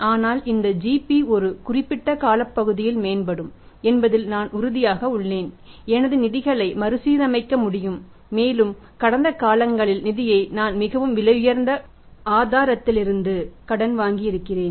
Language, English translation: Tamil, But I am sure that this GP will improve over a period of time and I will be able to restructure my finances and I have borrowed the funds in the past from the source which are very, very expensive